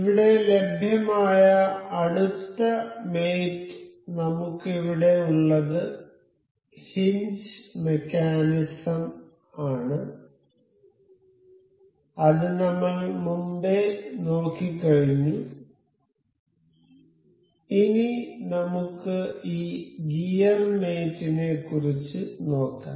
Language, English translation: Malayalam, So, the next mate available here is hinge mechanism that we have already covered, we have already covered now we will go about this gear mate